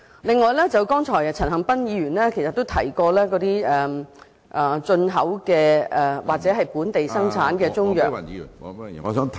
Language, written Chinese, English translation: Cantonese, 另外，剛才陳恒鑌議員亦提及進口或本地生產的中藥......, Besides just now Mr CHAN Han - pan also mentioned imported or locally manufactured Chinese medicines